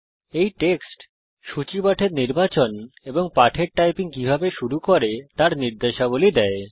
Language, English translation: Bengali, This text lists instructions on how to select the lecture and begin the typing lessons